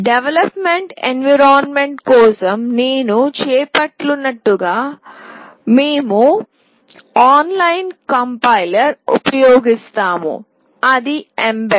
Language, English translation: Telugu, And as I had said for development environment we will be using an online complier that is mbed